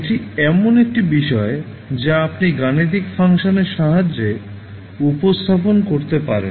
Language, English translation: Bengali, So, that would be something which you can represent with the help of a mathematical function